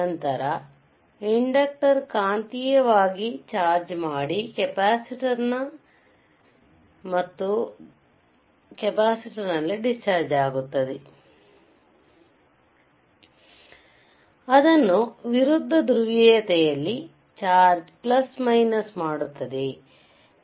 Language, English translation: Kannada, Then the inductor is magnetically chargesd and then it dischargess back into the capacitor, chargeing it in the opposite polarity right